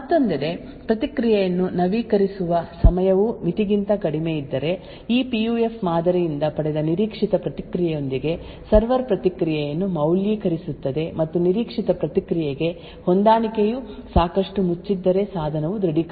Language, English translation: Kannada, On the other hand, if the time to update the response is very short much lesser than the threshold then the server would validate the response with the expected response obtained from this model of the PUF, and if the match is quite closed to this to the expected response than the device would get authenticated